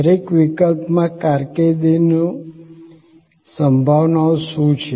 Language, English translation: Gujarati, What are the career prospects in each case